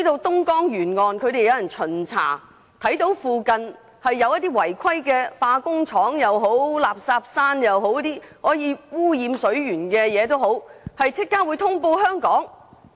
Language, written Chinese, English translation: Cantonese, 東江沿岸是否有人進行巡查，一旦發現有違規化工廠或垃圾山等污染水源的情況，便會立刻通報香港？, Are any personnel assigned to do inspections and notify Hong Kong immediately once the pollution of water sources by any unlawful chemical plants or rubbish mounds is noticed?